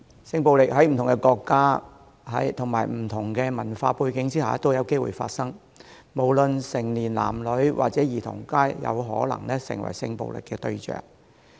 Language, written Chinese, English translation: Cantonese, 性暴力在不同國家和不同文化的地方都有機會發生，且無論成年男女或兒童，皆有可能成為性暴力的對象。, Sexual violence is no rare occurrence in different countries and cultures and victims of sexual violence can be people of any gender and age